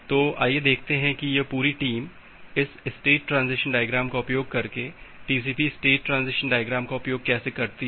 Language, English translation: Hindi, So, let us see that how this entire team moves using this state transition diagram using TCP state transition diagram